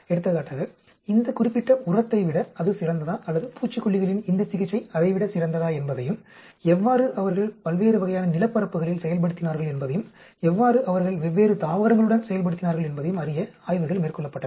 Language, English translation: Tamil, For example, studies were carried out to see whether this particular fertilizer is better than that or this treatment of pesticides was better than that and how they performed on different types of land areas and how they performed with different plants